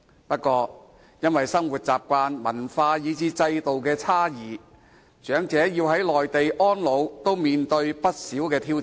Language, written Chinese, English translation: Cantonese, 不過，因為生活習慣、文化及制度等的差異，長者在內地安老，要面對不少挑戰。, However owing to the differences in lifestyles cultures systems etc the elderly have to face a lot of challenges to retire in the Mainland